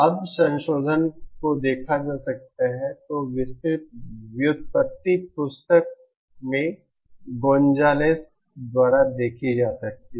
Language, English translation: Hindi, Now that the revision can be seen, the detailed derivation can be seen in the book by Gonzales